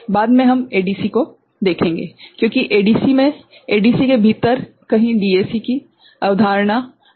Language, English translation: Hindi, Later, we shall take up ADC, because in ADC within ADC somewhere a concept of DAC is already there right